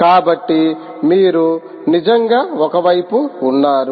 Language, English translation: Telugu, also, that is on the one side